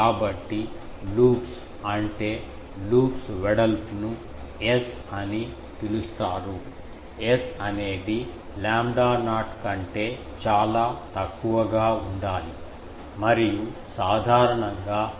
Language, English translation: Telugu, So, loops what is that, loops width you can say is called S and this S is usually, S should be one thing much less than lambda not and usually it is at less than 0